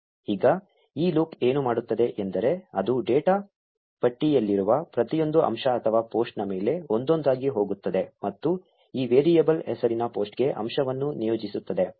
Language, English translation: Kannada, Now what this loop will do is it will go over every element or post in the data list one by one and assign the element to this variable named post